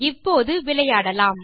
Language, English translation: Tamil, Now let us play a game